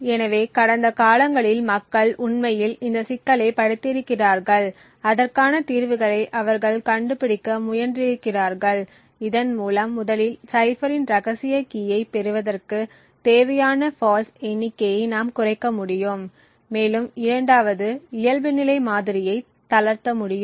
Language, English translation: Tamil, So in the past people have actually studied this problem and they have tried to find out solutions by which firstly we can reduce the number of faults that are required to obtain the secret key of the cipher and 2nd also relax default model